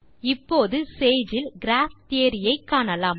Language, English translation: Tamil, Now, let us look at Graph Theory in Sage